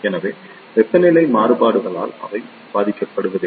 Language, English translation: Tamil, So, they do not suffer with the temperature variations